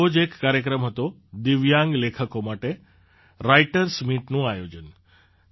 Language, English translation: Gujarati, One such program was 'Writers' Meet' organized for Divyang writers